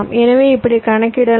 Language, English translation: Tamil, ok, so you calculate like this